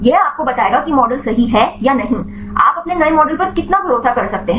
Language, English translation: Hindi, This will tell you whether your model is correct or not; how far you can rely your new model